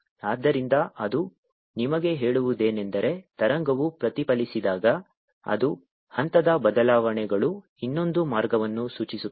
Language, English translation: Kannada, so what it tells you is that when the wave is getting reflected, its phase changes is going to point the other way